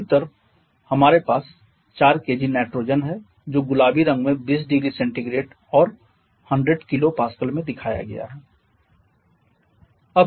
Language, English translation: Hindi, We have nitrogen 4 kg of Nitrogen the one shown in pink at 20 degree Celsius and 150 kilo Pascal